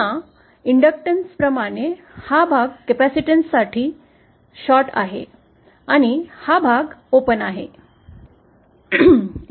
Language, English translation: Marathi, Again just like for inductance, this portion for the capacitance, this part is the short and this part is the open